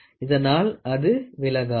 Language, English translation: Tamil, So, that it does not deflect